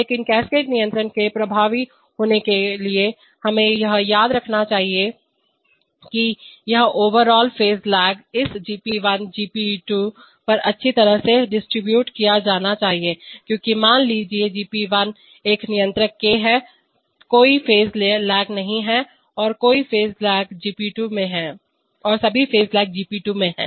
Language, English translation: Hindi, But for cascade control to be effective, we must remember that this overall phase lag must be well distributed over this GP1 and GP2 because suppose, suppose that GP1 is a constant k, there is no phase lag and all the phase lag is in GP2